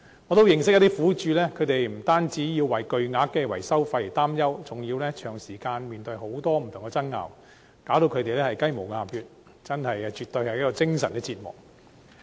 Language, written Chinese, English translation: Cantonese, 我認識一些苦主，他們不單要為巨額的維修費用擔憂，還要長時間面對不同爭拗，令他們"雞毛鴨血"，絕對是精神折磨。, I know some victims who not only have to worry about an enormous amount of maintenance fees but also have to face various disputes long term . All this is an ordeal and absolutely a mental torture to them